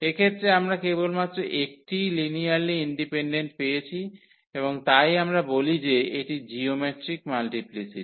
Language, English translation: Bengali, So, in this case we got only one linearly independent eigenvector and therefore, we say that the geometric multiplicity